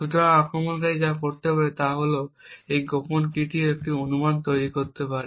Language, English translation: Bengali, So, what the attacker could do is that he could create a guess of the secret key